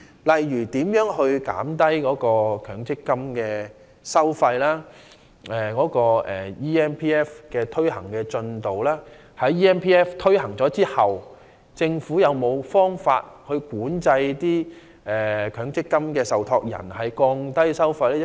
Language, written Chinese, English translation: Cantonese, 例如，談到降低強積金收費和 eMPF 的推行進度等方面，在推行 eMPF 後，政府有否任何方法強制強積金受託人降低收費呢？, In the case of lowering MPF fees and the progress of implementing eMPF for example has the Government conceived any ways to mandate MPF trustees to reduce their fees after the implementation of eMPF?